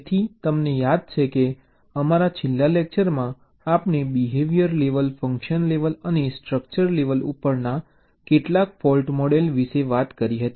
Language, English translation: Gujarati, so you recall, in your last lecture we talked about some fault model at the behavior level, function level and also the structure level